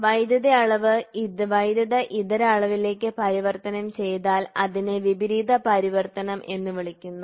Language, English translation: Malayalam, So, that is a direct if the electrical quantity is transformed into a non electrical quantity it is called as inverse transform